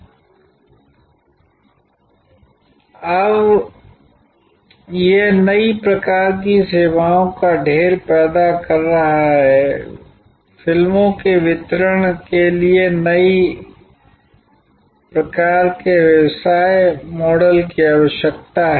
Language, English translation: Hindi, It is now creating a plethora of new types of services, new types of business models need for delivery of movies